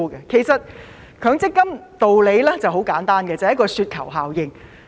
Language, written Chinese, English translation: Cantonese, 其實強積金的道理十分簡單，便是"雪球效應"。, In fact the rationale of MPF that is the snowball effect is very simple